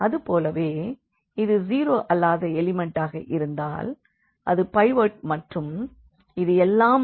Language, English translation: Tamil, But, if these are the nonzero elements if these are the nonzero elements then there will be also a pivot here